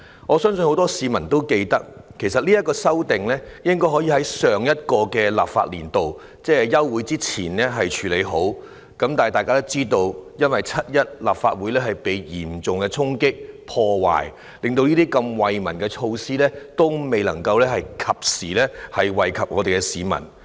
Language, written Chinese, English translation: Cantonese, 我相信很多市民也記得，其實這項《條例草案》本應在上一個立法年度，即休會之前處理好，但大家也知道，在7月1日，立法會遭受嚴重衝擊和破壞，令這些惠民措施未能及時惠及市民。, I believe many members of the public will remember that actually this Bill should have been dealt with in the last legislative session that means before the summer recess . But as we all know on 1 July the Legislative Council was severely stormed and damaged . Consequently these measures beneficial to the public were unable to benefit the people in time